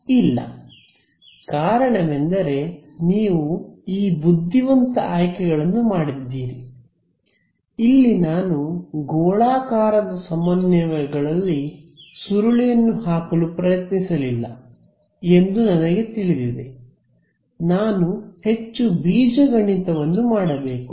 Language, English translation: Kannada, No, right and the reason is because you made these intelligent choices, here I did not go about you know trying to put in the curl in the spherical co ordinates right I would have I have to do lot more algebra this is 0 curl of a constant